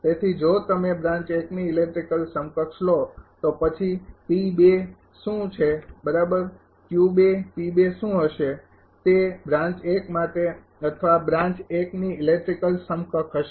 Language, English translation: Gujarati, So, if you take electrical equivalent of branch one then what is P 2 right and what is Q 2 P 2 will be for branch 1 or electrical equivalent of branch 1